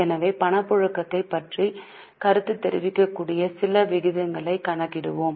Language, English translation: Tamil, So, we will calculate certain ratios wherein we can comment on liquidity